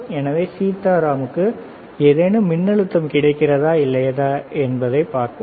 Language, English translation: Tamil, So, let us see whether Sitaram can get any voltage or not, all right let us see